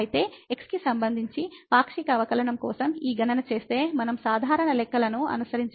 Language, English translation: Telugu, So, just doing this calculation for a partial derivative with respect to , we can just follow the usual calculations